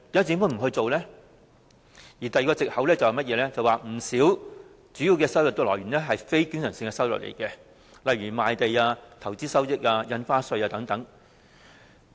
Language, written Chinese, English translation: Cantonese, 第二個藉口是，不少主要收入屬非經常性收入，例如賣地、投資收益、印花稅收入等。, The second excuse is that many major sources of government revenue are non - recurrent in nature some examples being land revenue investment income and revenue from stamp duties